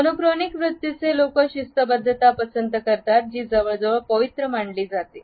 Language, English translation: Marathi, Monochronic orientations prefers punctuality which is considered to be almost sacred